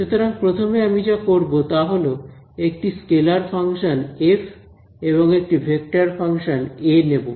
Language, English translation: Bengali, So, now the first step to do is I am going to take a scalar function f of and a vector function A ok